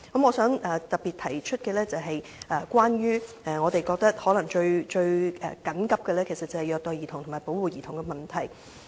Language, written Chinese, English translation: Cantonese, 我想特別提出的一點關乎我們認為最緊急的事宜，即虐待兒童和保護兒童的問題。, One particular point I wish to make is an issue we consider the most urgent ie . child abuse and protection of children